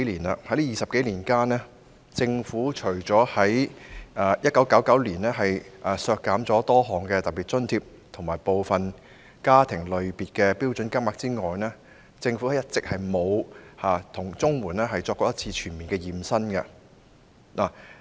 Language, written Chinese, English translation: Cantonese, 在這20多年間，政府除了在1999年削減多項特別津貼及部分家庭類別的標準金額之外，一直沒有為綜援進行全面"驗身"。, In these 20 - odd years the Government has never conducted any comprehensive body check on CSSA apart from reducing the amount of a number of special grants and the standard rate payments for some categories of families in 1999